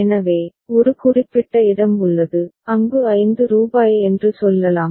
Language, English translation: Tamil, So, there is a particular place where a stack of say, rupees 5 is there